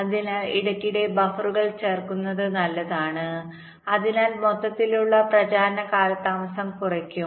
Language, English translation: Malayalam, so it is always good to insert buffers in between, so at to decrease the overall propagation delay